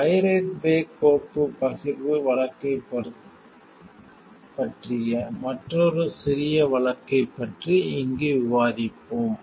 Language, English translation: Tamil, We will discuss about another small case over here, which is about the pirate bay file sharing case